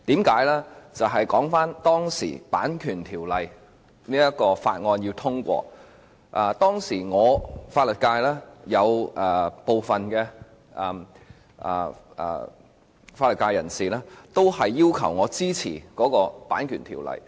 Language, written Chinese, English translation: Cantonese, 說回當時《2014年版權條例草案》在立法會的情況，當時有部分法律界人士要求我支持《條例草案》。, Let me recap the situation of the Copyright Amendment Bill 2014 the Bill in the Legislative Council back then . At that time some members of the legal sector requested me to support the Bill